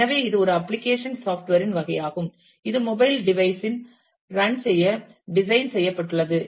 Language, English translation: Tamil, So, it is a type of a application software, which is designed to run on a mobile devise